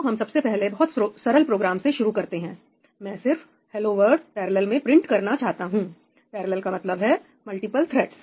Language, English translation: Hindi, So, let us start with a very simple program I just want to print ‘hello world’ in parallel , and parallel, I mean multiple threads